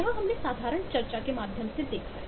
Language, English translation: Hindi, this is what we have seen through the simple discussion we had